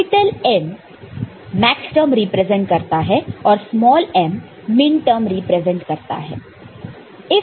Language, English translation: Hindi, This capital M represents maxterm, small m we have used for minterm